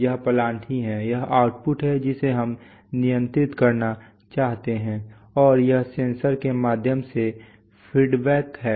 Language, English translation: Hindi, This is the plant itself, this is the output which we want to control and this is the feedback through the sensor